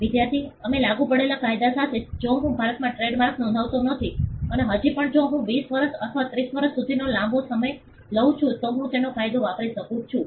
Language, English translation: Gujarati, Student: With the law of we applicable, if I do not register a trademark in India and still for if a long time for 20 years, or 30 years can I use it law of